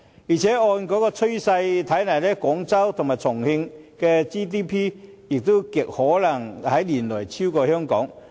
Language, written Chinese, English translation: Cantonese, 況且按趨勢來看，廣州和重慶的 GDP 亦極可能在年內超越香港。, What is more based on the present trend we can well predict that Guangzhou and Chongqing will probably overtake Hong Kong in GDP within a matter of years